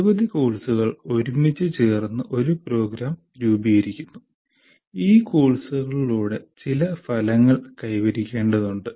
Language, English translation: Malayalam, Because several courses together form a program and through these courses you, it is we are required to attain certain outcomes